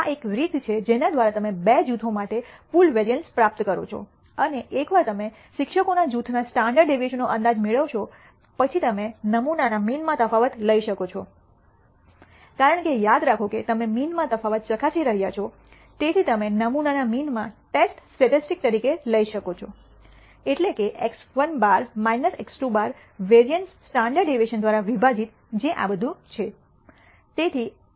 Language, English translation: Gujarati, This is a way by which you obtain the pooled variance for two groups, and once you obtain an estimate of the standard deviation of the group of teachers then you can take the difference in the sample means because remember you are testing the di erence in means, so you can take as the test statistic in the sample means x 1 bar minus x 2 bar divided by the variance standard deviation of these means which is what this is all about